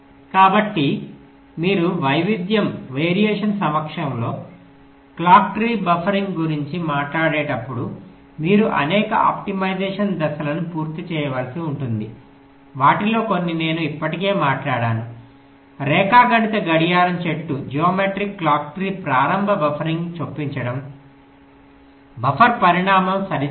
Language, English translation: Telugu, so when you talk about clock tree buffering in the presence of variation, so you may need to carry out several optimization steps, like some of them i already talked about: geometric clock tree: initial buffering, insertion, sizing of the buffer